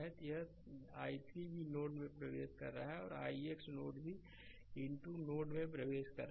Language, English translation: Hindi, So, this i 3 also entering into the node, and i x node also entering into the node